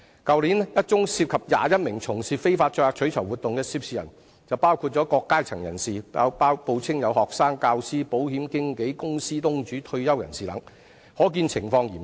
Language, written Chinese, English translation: Cantonese, 去年一宗涉及21名從事非法載客取酬活動的涉事人來自不同階層，他們分別報稱是學生、教師、保險經紀、公司東主及退休人士等，可見情況嚴重。, Last year there was a case of illegal carriage of passengers for reward involving 21 people from different walks of life who claimed to be students teachers insurance brokers company owners and retired persons . From this we can see that the problem is pretty serious